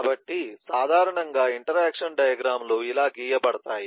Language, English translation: Telugu, so this is typically how the interaction diagrams will be drawn You could look at